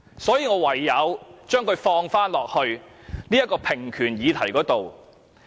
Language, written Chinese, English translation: Cantonese, 所以，我唯有將之納入平權議題中。, So I have no alternative but to include this issue in the equal rights topic